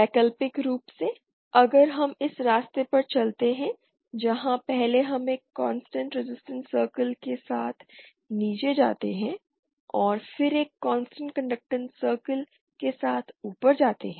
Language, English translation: Hindi, Alternatively if we go along this path where first we go down along a constant resistance circle, and then go up along a constant conductance circle